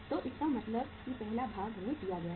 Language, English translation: Hindi, So it means first part is given to us